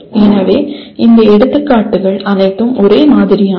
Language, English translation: Tamil, So all these examples are similar